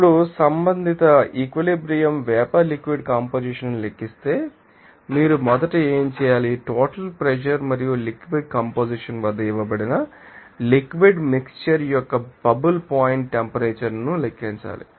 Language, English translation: Telugu, Now, calculating that related equilibrium vapor liquid composition, what you have to do first of all you have to calculate the bubble point temperature of the liquid mixture that is given at the total pressure and liquid composition